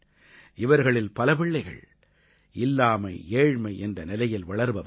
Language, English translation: Tamil, Many of these children grew up amidst dearth and poverty